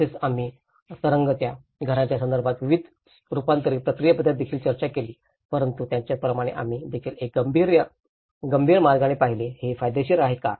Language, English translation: Marathi, And we also discussed about various adaptation process about floating houses but similarly, we also looked in a critical way of, is it worth